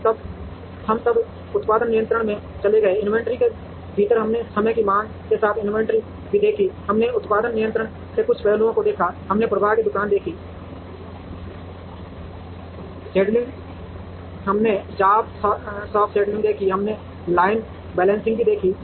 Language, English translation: Hindi, We then moved into production control, within the inventory we also saw inventory with time varying demand, we saw some aspects of production control, we saw flow shop scheduling, we saw job shop scheduling, we also saw line balancing